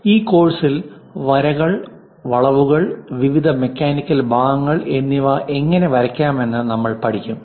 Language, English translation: Malayalam, In this subject we are going to learn about how to draw lines, curves, various mechanical parts